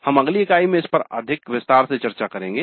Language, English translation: Hindi, We will discuss this in greater detail in the next unit